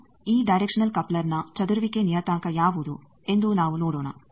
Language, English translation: Kannada, Now, let us find what is the scattering parameter of this directional coupler